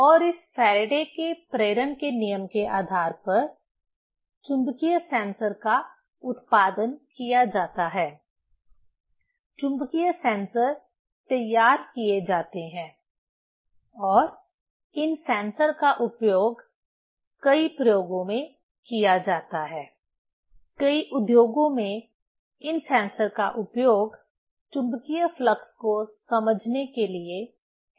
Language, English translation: Hindi, s law of induction, the magnetic sensors are produced, magnetic sensors are fabricated and this sensors are used in many experiments; in many industries, these sensors are used to sense the magnetic flux